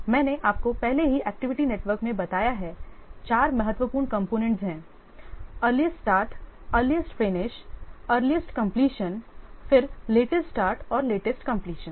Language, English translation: Hindi, I have already told you in the activity network, there are four important components, activity start, early start, earliest finish or earliest completion, then latest start and latest completion